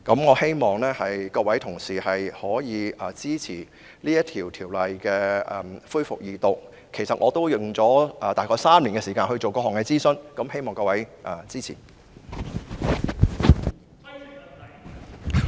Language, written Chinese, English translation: Cantonese, 我希望各位同事支持《條例草案》恢復二讀，因為我合共花了大約3年時間進行各項諮詢，所以希望各位支持。, I hope that Honourable colleagues will support the resumption of the Second Reading of the Bill as I have spent a total of about three years to conduct various consultation activities . Therefore I wish to solicit Members support